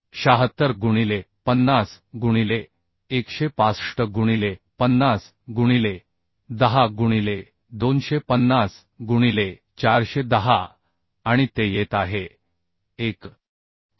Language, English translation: Marathi, 076 into 50 by 165 into 50 by 10 into 250 by 410 and that is coming 1